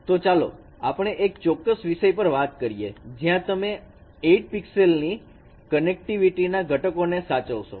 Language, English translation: Gujarati, So let us discuss a particular case when you want to get the components preserving the eight connectivity of pixels